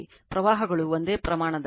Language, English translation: Kannada, Currents are same magnitude balance 33